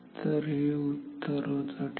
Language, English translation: Marathi, So, this is the answer ok